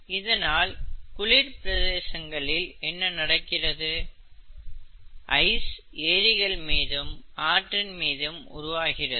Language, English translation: Tamil, What happens because of this in cold countries, ice forms right, ice forms on lakes, rivers and so on and so forth